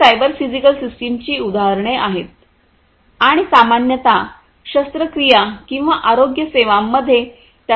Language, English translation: Marathi, These are examples of cyber physical systems and they are used in surgery or healthcare, in general